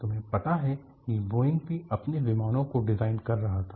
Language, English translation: Hindi, Boeingwere also designing their planes